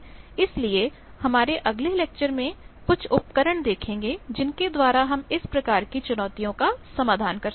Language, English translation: Hindi, So, will see some tools in our next lectures by which we can address this type of challenges